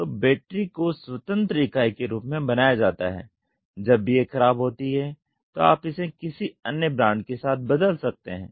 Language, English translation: Hindi, So, the battery is made as independent entity whenever it comes off you can replace it with any other brand